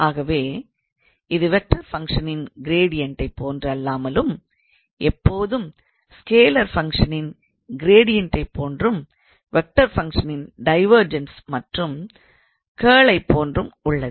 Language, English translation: Tamil, So, it is not like gradient of a vector function it is always like gradient of a scalar function and the divergence and curl of a vector function